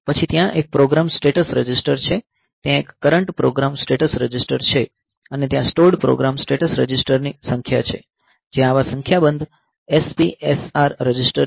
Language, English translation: Gujarati, Then there is a program status register there is a current program status register and there is number of stored to saved program status registers there number of such SPSR registers are there